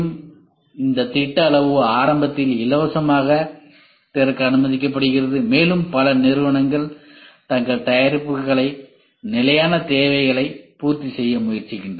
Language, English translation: Tamil, So, this standard is let open free at the beginning and lot of companies try to make their products to meet out the standard requirements